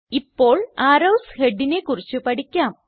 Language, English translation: Malayalam, Now lets learn about Arrow heads